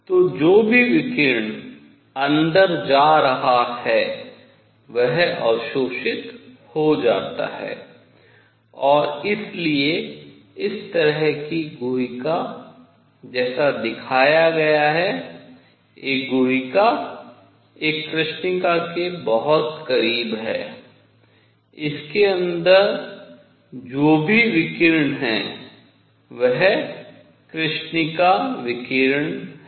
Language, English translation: Hindi, So, whatever radiation is going in, it gets absorbed and therefore, a cavity like this; a cavity like the one shown is very very close to a black body whatever radiation is inside it, it is black body radiation